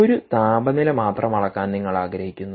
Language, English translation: Malayalam, if you want to measure such a temperature